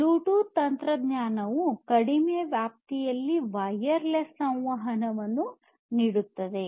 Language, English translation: Kannada, So, we have this Bluetooth technology which offers wireless communication in short range